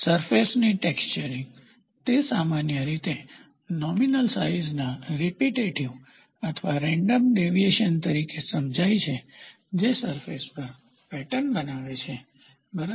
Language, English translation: Gujarati, Surface texturing, it is generally understood as a repetitive or random deviations from the nominal size that forms the pattern on a surface, ok